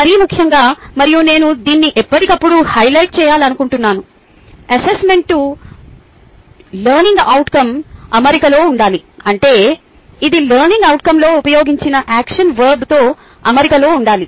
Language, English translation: Telugu, most importantly and i would like to highlight this every now and then that the assessment task should be in alignment with the learning outcome, which means it should be in alignment with the action verb which has been use to ah in the learning outcome